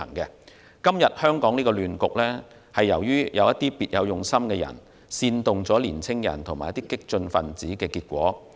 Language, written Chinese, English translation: Cantonese, 香港今天的亂局，是由於有別有用心的人煽動年青人與激進分子的結果。, The current chaotic situation in Hong Kong is the result of incitement of young people and the radicals by those with ulterior motives